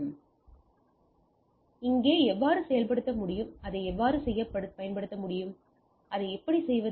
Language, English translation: Tamil, So, how this spanning tree can be implemented out here or how do I do that